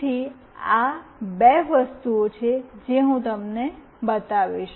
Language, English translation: Gujarati, So, these are the two things that I will be showing you